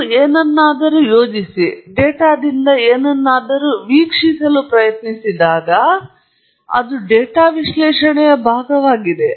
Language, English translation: Kannada, When you plot something, and try to observe something from the data, that is also a part of the data analysis